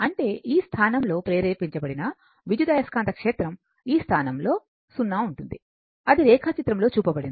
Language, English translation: Telugu, So that means, at this position that EMF induced at this position will be 0, it is that is whatever in the diagram it is shown